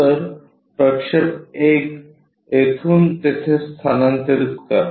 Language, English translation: Marathi, So, transfer this projected 1 from here to there